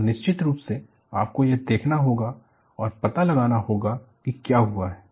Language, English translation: Hindi, So, definitely you will have to look at and find out what has happened